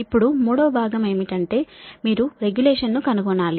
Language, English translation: Telugu, now, third part is that you have to find out the regulation, right